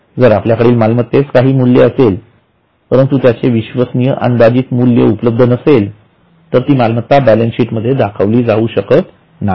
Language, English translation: Marathi, If we have a asset, it's value it's a value, there is no reliable estimation available, then also we cannot value it and show it in the balance sheet